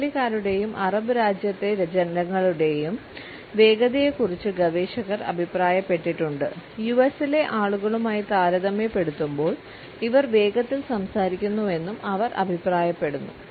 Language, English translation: Malayalam, Researchers have commented on the speed of Italians and people of the Arab country and they comment that they speak in a faster manner in comparison to people of the US